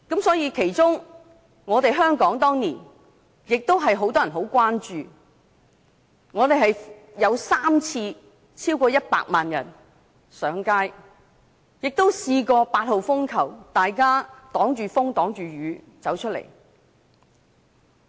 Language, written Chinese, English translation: Cantonese, 當年，香港也有很多人關注，曾有3次有超過100萬人上街，也有很多人在8號風球懸掛時冒着風雨走出來。, Back then many people in Hong Kong were concerned about the movement . On three occasions more than 1 million people took to the streets and some of them even braved the stormy weather when Typhoon Signal No . 8 was in force